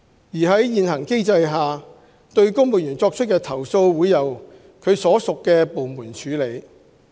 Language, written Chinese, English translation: Cantonese, 而在現行既定機制下，對公務員作出的投訴會由其所屬部門處理。, Under the current established mechanism complaints against civil servants will be handled by their respective departments